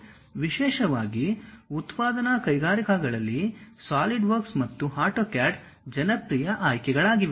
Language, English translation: Kannada, Especially, in manufacturing industries Solidworks and AutoCAD are the popular choices